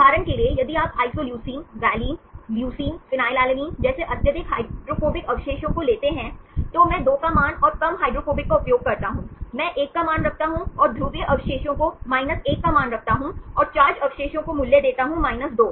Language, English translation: Hindi, For example, if you take the highly hydrophobic residues like isoleucine, valine, leucine, phenylalanine, I put value of 2 and less hydrophobic, I put the value of 1, and the polar residues I give 1 and the charge residues I give value of 2